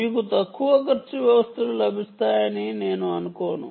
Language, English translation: Telugu, i dont think you will get any lower cost